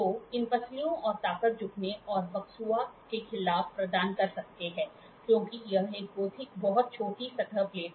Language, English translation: Hindi, So, these ribs and strength provide against bending and buckling may because this is a very small surface plate